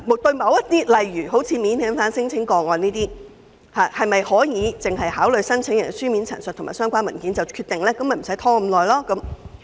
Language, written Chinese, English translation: Cantonese, 就某些案件如免遣返聲請個案，是否可以只考慮申請人的書面陳述及相關文件便作出決定，從而避免拖延呢？, For certain cases can decisions be made solely on the applicants written statements and related documents so as to avoid delays?